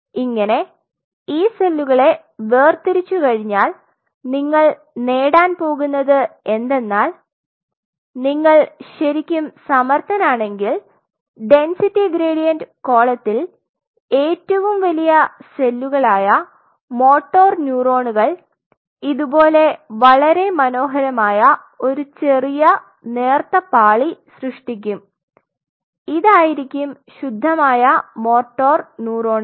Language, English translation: Malayalam, Once you separate out these cells what you will be achieving is something like this on a density gradient column the largest cells which are the motor neurons they will form a wonderful layer if you are really good at it a small thin layer out here which will be the pure motor neurons